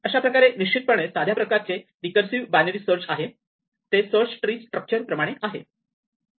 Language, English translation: Marathi, So, this is exactly a binary search and it is a very simple recursive thing which exactly follows a structure of a search tree